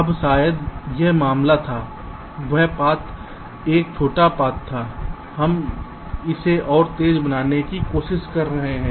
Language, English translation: Hindi, now maybe it was the case that path one was the shorter path